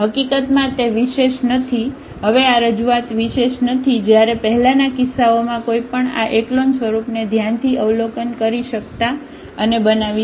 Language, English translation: Gujarati, In fact, this it is not unique now this representation is not unique while in the earlier cases one can closely observe and doing this echelon form